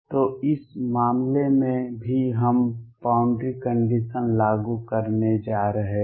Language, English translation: Hindi, So, in this case also we are going to apply the boundary condition